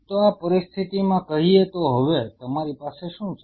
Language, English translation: Gujarati, So, in this situation say for So now, what you have you have